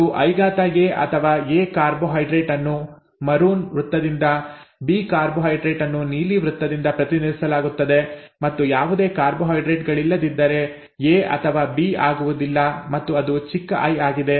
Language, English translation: Kannada, And I A or an A carbohydrate is represented by a maroon circle, a B carbohydrate by or a red circle, B carbohydrate by a blue circle and if there are no carbohydrates neither A nor B and it is small i